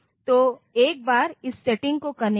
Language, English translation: Hindi, So, once you do this thing this setting